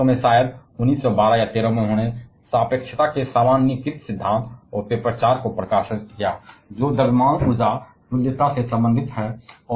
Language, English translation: Hindi, In a later year probably in 1912 or 13 he published the generalized theory of relativity and the paper 4 which is related to this mass energy equivalence